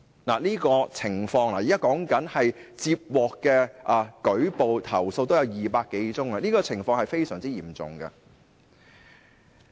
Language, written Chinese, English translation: Cantonese, 現在說的是接獲的投訴已有200多宗，情況是非常嚴重的。, Given that the number of complaints received has already exceeded 200 the situation is extremely serious